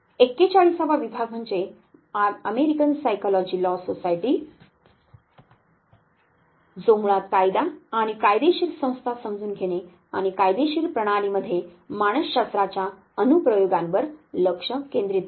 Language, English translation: Marathi, The 41st division is the American Psychology Law Society, which basically focuses on understanding of law and legal institutions and application of psychology in the legal system